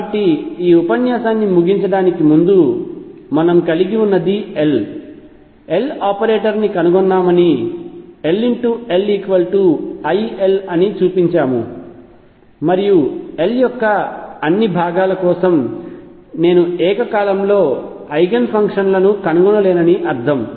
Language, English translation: Telugu, So, just to conclude this lecture what we have is we have shown derive the L, L operator that we have shown that L cross L is i L and that means, that I cannot find simultaneous eigen functions for all components of L